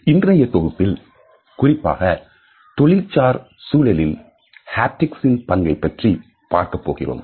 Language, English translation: Tamil, In today’s module we would discuss the role of Haptics particularly at the workplace